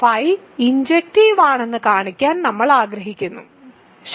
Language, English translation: Malayalam, We want to show that phi is injective, ok